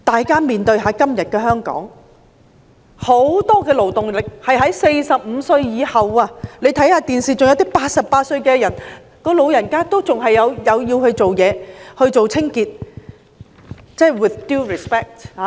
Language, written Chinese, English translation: Cantonese, 今天的香港，很多勞動力都是45歲以上的人士，看電視可以見到88歲的老人家還有繼續做清潔工作。, In Hong Kong today many members of the workforce are over 45 years of age and on television one can see 88 - year - old elderly people still doing cleaning work